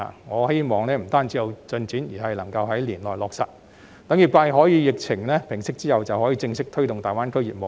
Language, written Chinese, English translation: Cantonese, 我希望此事不僅有進展，而是能夠在今年內落實，讓業界可以在疫情平息後正式推動大灣區業務。, I do not merely hope that progress will be made on the proposals but it is also hoped that they can be implemented within this year to enable the industry to formally take forward their businesses in GBA when the pandemic has subsided